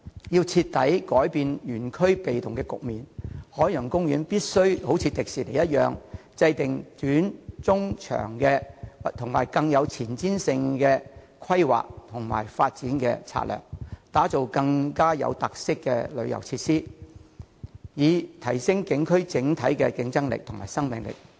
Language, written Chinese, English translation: Cantonese, 如要徹底改變園區處於被動位置的局面，海洋公園必須仿效迪士尼的做法，即制訂短、中、長期並更具前瞻性的規劃和發展策略，打造更具特色的旅遊設施，以提升景區整體競爭力及生命力。, To reverse completely the situation of being forced into a passive position Ocean Park has to follow Disneylands example of formulating short - medium - and long - term planning and development strategies that are more forward - looking to put in place tourist facilities with more special features to enhance the overall competitiveness and vitality of the theme zones